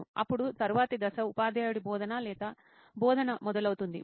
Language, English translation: Telugu, Then the next step would be the teacher starts instruction or teaching and